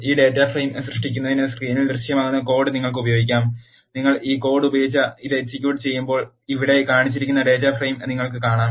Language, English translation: Malayalam, To create this data frame, you can use the code that is displayed in screen this one and when you use this code and execute this, you will see the data frame which is shown here